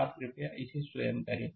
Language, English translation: Hindi, You please do it of your own